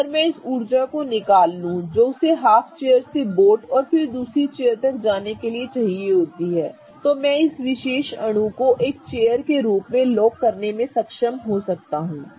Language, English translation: Hindi, If I take away that energy that it has in order to go through the half chair to the boat and then to the other chair, I may be able to lock this particular molecule in a chair form